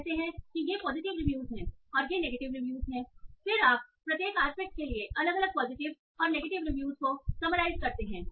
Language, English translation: Hindi, Within each, you say okay these are positive exam reviews, these are negative reviews and then you summarize the positive and negative reviews separately for each of the aspect